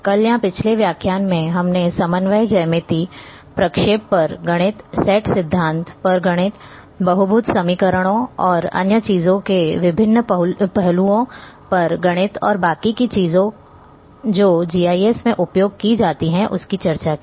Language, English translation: Hindi, Like yesterday or in previous lecture, we have discussed about coordinate geometry, the mathematics on interpolation, the mathematics on set theory, mathematics on different aspects of a polynomial equations and other things and all are used in GIS